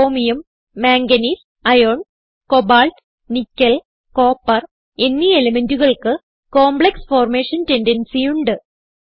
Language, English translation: Malayalam, Elements Chromium, Manganese, Iron, Cobalt, Nickel and Copper have a tendency to form a large number of complexes